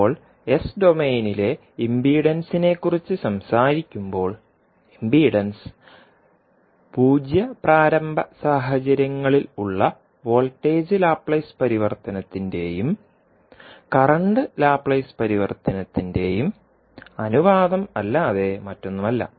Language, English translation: Malayalam, Now, when we talk about the impedance in s domain so impedance would be nothing but the ratio of voltage Laplace transform and current Laplace transform under zero initial conditions